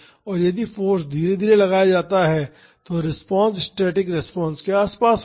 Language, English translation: Hindi, And, if the force is applied gradually the response will be close to the static response